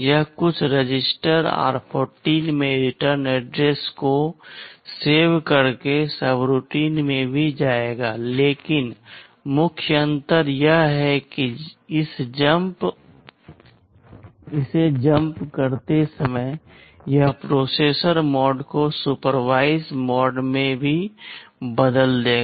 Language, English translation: Hindi, This will also jump to a subroutine by saving the return address in some register r14, but the main difference is that while doing this jump it will also change the processor mode to supervisor mode